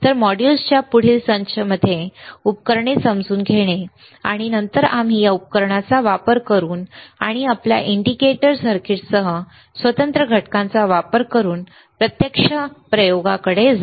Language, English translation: Marathi, So, the next set of modules is to understand the equipment, and then we will move on to actual experiments using this equipment and using the discrete components along with your indicator circuits, all right